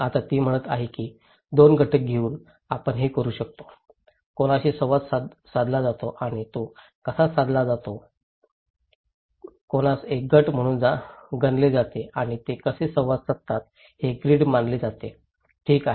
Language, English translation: Marathi, Now, she is saying that we can do this by taking 2 elements; one is whom one interact and how one interact with so, whom one interact is considered to be group and how they interact is considered to be grid, okay